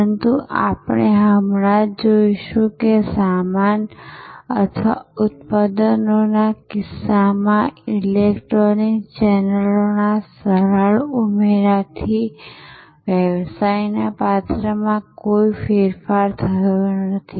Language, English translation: Gujarati, But, we will just now see that the simple addition of electronic channels in case of goods or products has not altered the character of the business